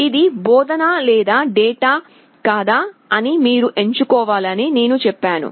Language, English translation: Telugu, I told you have to select whether it is the instruction or a data